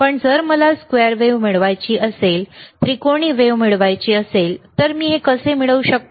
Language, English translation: Marathi, bBut what if I want to get square wave, what if I want to get triangular wave, how can I get this